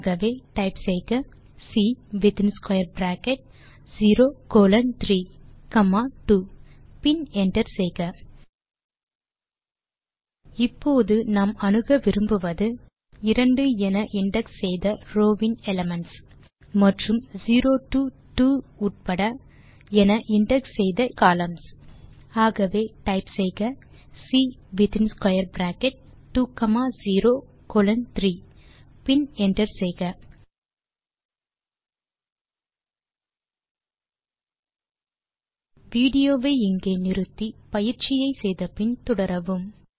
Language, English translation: Tamil, So type C within square bracket 0 colon 3 comma 2 and hit enter Now, if we wish to access the elements of row with index 2, and in columns indexed 0 to 2 , we say, So type C within square bracket 2 comma 0 colon 3 and hit enter Pause the video here, try out the exercise and resume the video